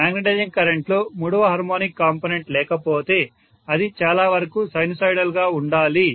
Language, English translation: Telugu, If third harmonic component is not there in the magnetizing current, it has to be fairly sinusoidal